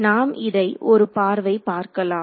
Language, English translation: Tamil, So, let us take a view along this ok